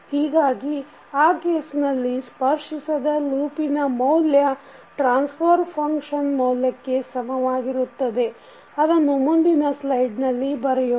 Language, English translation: Kannada, So, in that case the value of non touching loops will be equal to the value of the transfer functions that is let us write in the next slide